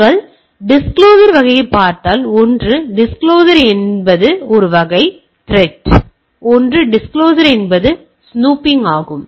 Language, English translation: Tamil, And if you look at the type of disclosures, so one is disclosure is a type of threats, one is disclosure that is snooping